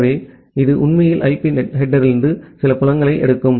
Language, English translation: Tamil, So, it actually takes certain fields from the IP header